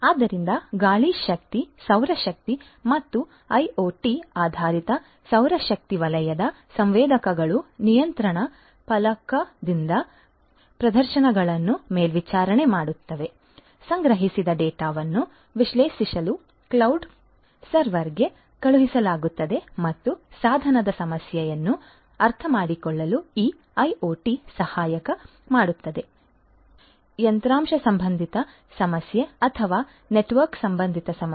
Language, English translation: Kannada, So, wind energy solar energy as well IoT based solar energy sector sensors would monitor the performances from the control panel, the gathered data will be sent to the cloud server to analyze and this IoT would help to understand the problem of device whether it is the hardware related problem or the network related problem